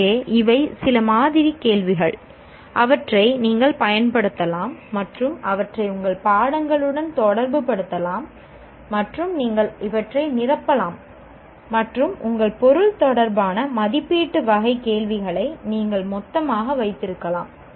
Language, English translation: Tamil, So these are some sample questions that you can use and relate them to your subjects and you can fill in the dots and you will have a whole bunch of evaluate type of questions related to your subject